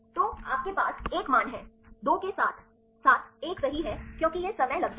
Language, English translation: Hindi, So, you have the values 1; 2 as well as the 1 right because that is it takes time